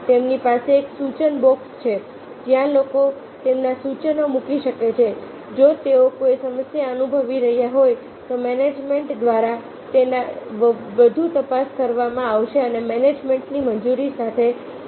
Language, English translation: Gujarati, like many organizations, they have suggestion box where people can put this suggestions if they are experiencing a problem, which will be further scrutinized by the management and, with the approval of the management, it will be executed